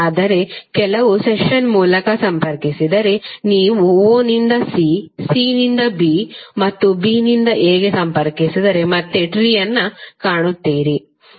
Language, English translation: Kannada, But if you connected through some session like if you connect from o to c, c to b and b to a then you will again find the tree